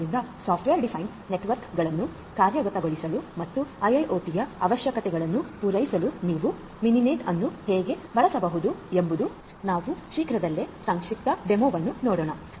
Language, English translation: Kannada, So, how you can use Mininet for implementing software defined networks and catering to the requirements of IIoT is what I am going to give you shortly a brief demo of